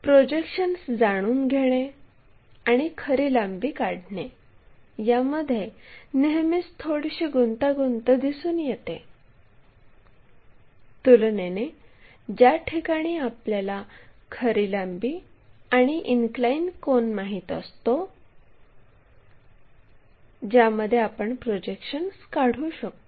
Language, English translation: Marathi, So, the second question by knowing projections and constructing the true length is always be slight complication involved, compared to the case where we know the true length and inclination angles made by that so, that we can construct projections